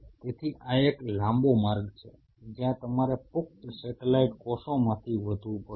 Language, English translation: Gujarati, So, this is a long route where you have to grow from the adult satellite cells